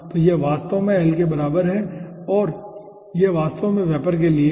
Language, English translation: Hindi, okay, so this is actually equivalent to l and this is actually for the vapor